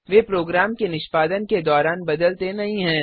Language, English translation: Hindi, They do not change during the execution of a program